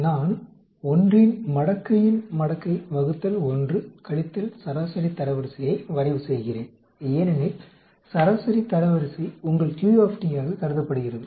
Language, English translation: Tamil, I am plotting logarithm of logarithm of 1 divided by 1 minus median rank because median rank is considered to be your Q